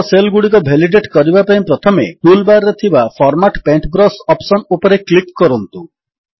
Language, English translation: Odia, To validate the cells below, first click on the Format Paintbrush option on the toolbar